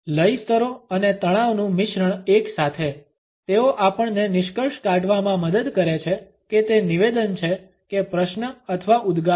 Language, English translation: Gujarati, Intonation and a stress blend together; they help us to conclude whether it is a statement or a question or an exclamation